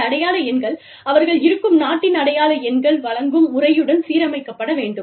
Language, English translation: Tamil, And, those identification numbers, have to be aligned, with the method of providing, identification numbers, in that country of operation